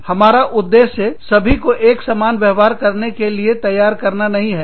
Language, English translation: Hindi, We are not aiming at, making everybody, behave the same way